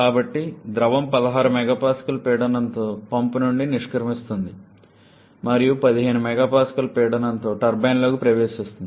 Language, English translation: Telugu, So, the fluid exits the pump at a pressure of 16 MPa and enters a turbine in a pressure of 15 MPa